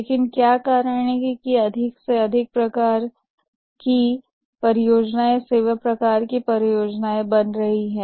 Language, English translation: Hindi, But what is the reason that more and more types of projects are becoming the services type of projects